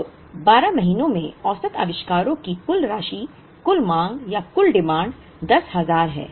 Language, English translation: Hindi, So, total sum of the average inventories over the 12 months is the total demand being 10,000